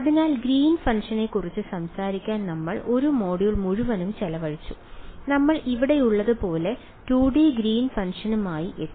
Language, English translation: Malayalam, So, we spent an entire module talking about the Green’s function and we came up with the 2D Green’s function as here right